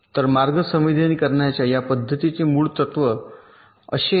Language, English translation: Marathi, ok, so the basic principle of this method of path sensitization is like this